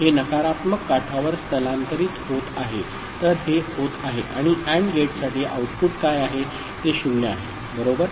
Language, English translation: Marathi, It is getting shifted negative edge so, it is becoming, what is the output for the AND gate all 0 right